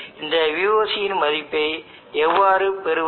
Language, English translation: Tamil, Therefore, how to get this value of VOC